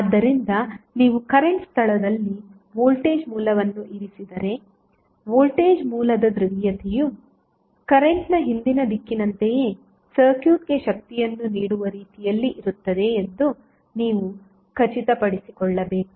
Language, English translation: Kannada, So, if you place the voltage source at current location, you have to make sure that the polarity of voltage source would be in such a way that it will give power to the circuit in the same direction as the previous direction of the current was